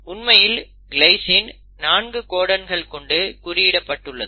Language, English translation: Tamil, In fact glycine is coded by 4 different codons